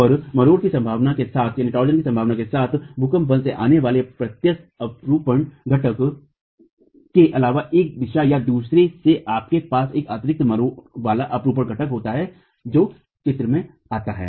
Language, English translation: Hindi, And with the possibility of torsion, apart from the direct shear component coming from earthquake force acting in one direction or the other, you have an additional torsional shear component that comes into the picture